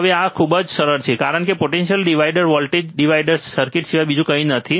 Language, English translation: Gujarati, Now this is very easy, because this is nothing but a potential divider voltage divider circuit